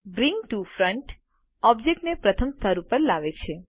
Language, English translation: Gujarati, Bring to Front brings an object to the first layer